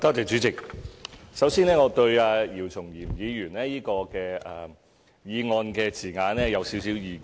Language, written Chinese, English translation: Cantonese, 主席，首先，我對姚松炎議員這項議案的字眼有少許意見。, President first I would like to express some views on the wording of Dr YIU Chung - yims motion